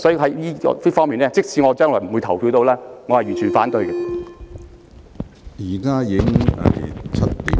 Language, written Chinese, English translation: Cantonese, 所以，就此方面，即使我不會參與表決，也是完全反對的。, Hence in this connection although I will not participate in the voting on this motion I still have to express my total opposition